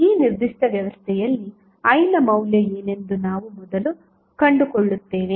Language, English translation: Kannada, So, what we will do will first find out what would be the value of I in this particular arrangement